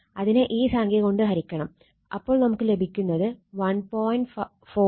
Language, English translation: Malayalam, So, divided by this figure that is getting 1